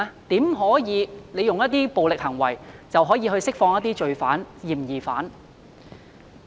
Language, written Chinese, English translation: Cantonese, 怎可用暴力行為要求釋放罪犯、嫌疑犯？, How could they use violent acts to demand the release of criminals and suspects?